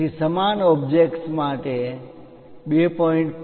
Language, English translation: Gujarati, So, for the same object the 2